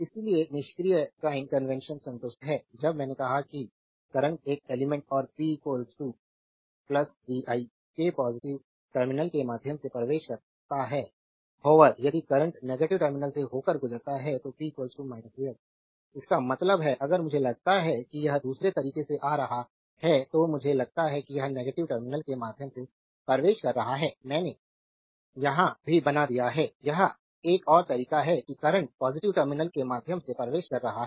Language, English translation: Hindi, So, passive sign convention is satisfied I told you when the current enters through the positive terminal of an element and p is equal to plus vi; however, if the current enters your through the negative terminal, then p is equal to minus vi; that means, if you look at the diagram other way I think it is current entering through the negative terminal here also I have made I here it is another way is that current entering through the positive terminal it is i